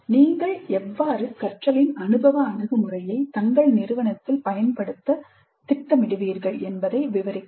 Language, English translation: Tamil, Describe how you use or plan to use experiential approach in your institution